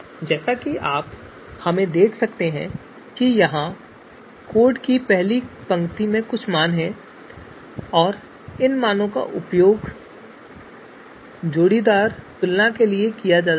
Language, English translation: Hindi, So certain values as you can see are there in the first line of code here and these values are going to be used for the you know are being used as pairwise comparisons of criteria